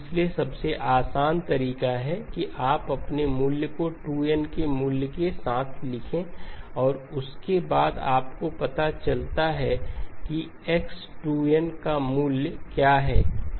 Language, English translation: Hindi, So the easiest way is to write down your values of n, values of 2n and then correspondingly you find out what is the value of x of 2n, so x of 2n okay